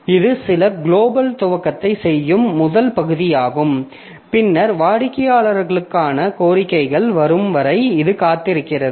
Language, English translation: Tamil, So, this is the first part if does some initialization, global initialization, and then it waits for the requests to come for clients